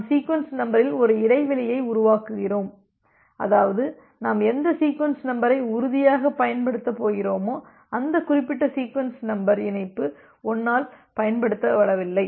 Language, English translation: Tamil, So, we are we are making a gap in the sequence number, such that we become sure that whatever sequence number that we are going to use, that particular sequence number has not been used by connection 1